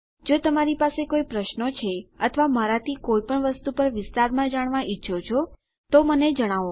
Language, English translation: Gujarati, If you have any questions or would like me to expand on anything, please just let me know